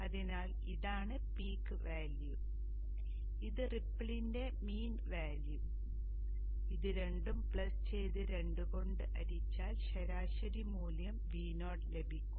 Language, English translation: Malayalam, So if this is the peak value and this is the main value of the ripple, this plus this divided by 2, the average value will be V0